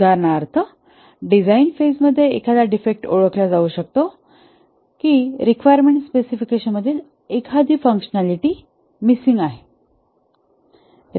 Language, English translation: Marathi, Once a defect is identified, for example, a defect may be identified in the design phase that a requirement specification, a functionality was missing